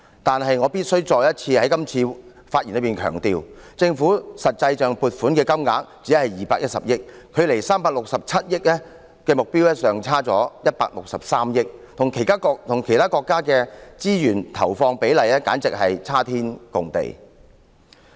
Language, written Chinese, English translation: Cantonese, 可是，我必須再次在今次發言中強調，政府實際撥款的金額只有210億元，距離367億元的目標尚差了163億元，與其他國家的資源投放比例簡直差天共地。, However I must once again emphasize in this speech that the actual amount of government funding is only 21 billion still a shortfall of 16.3 billion from the target of 36.7 billion . When compared with other countries ratios of resource inputs to their budgets ours is a world behind